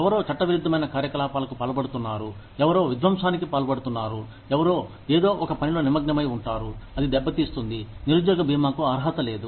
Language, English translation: Telugu, Somebody engaging in illegal activities, somebody engaging in sabotage, somebody engaging in something, that can hurt the organization, is not entitled to unemployment insurance